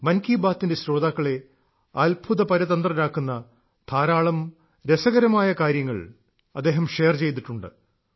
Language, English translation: Malayalam, He has shared very interesting facts which will astonish even the listeners of 'Man kiBaat'